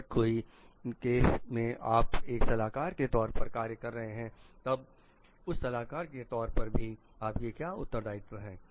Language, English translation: Hindi, Like, if in many cases if you are functioning as a consultant then what are the responsibilities of you as a consultant also